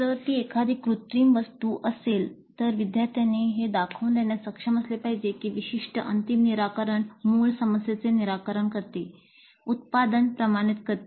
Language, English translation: Marathi, If it is an artifact, the students must be able to demonstrate that that particular final solution does solve the original problem, validate the product